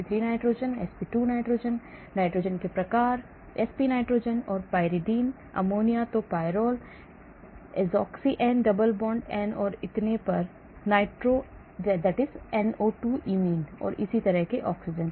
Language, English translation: Hindi, Sp3 nitrogen, sp2 nitrogen, amide type of nitrogen, sp nitrogen, pyridine, ammonium then pyrrole, azoxy N double bond N and so on, nitro NO2 imine and similarly oxygen